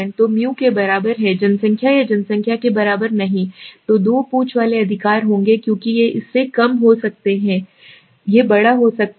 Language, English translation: Hindi, So the is equal to the population or not equal to the population there will be two tailed right, because it can be less than it can be greater than